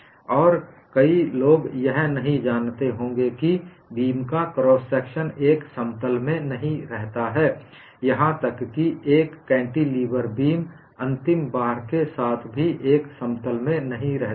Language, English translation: Hindi, And many may not know that the cross section of the beam does not remain in one plane, even for a cantilever beam with an end load